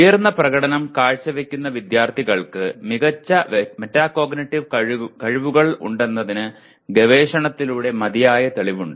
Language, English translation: Malayalam, It is noted and there is adequate proof through research high performing students have better metacognitive skills